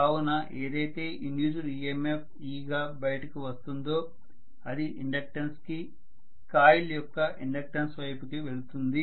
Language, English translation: Telugu, So what comes out as the induced emf e essentially is towards the inductance, it is going towards the inductance of the coil